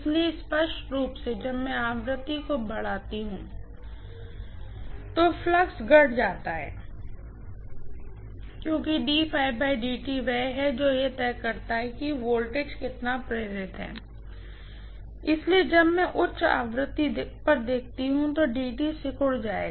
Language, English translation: Hindi, So, clearly when I increase the frequency flux required decreases because D phi by DT is the one which decides how much is the voltage induced, so DT will shrink when I look at higher frequency